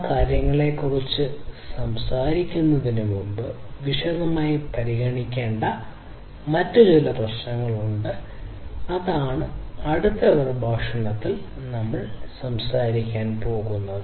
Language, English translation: Malayalam, And before you know we talk about those things in detail, there are a few other issues that also need to be considered and that is what we are going to talk about in the next lecture